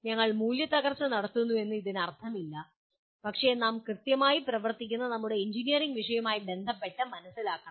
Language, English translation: Malayalam, It does not mean that we are devaluing but we should understand with respect to our engineering subject where exactly we are operating